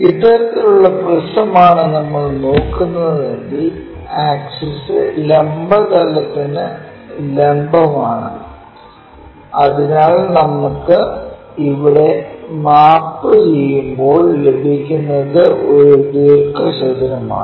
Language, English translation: Malayalam, If we are looking at this kind of prism then everything the axis is perpendicular to vertical plane then what we will see is a rectangle here and here it also maps to rectangle